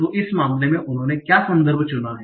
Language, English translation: Hindi, So in this case, what is the context they have chosen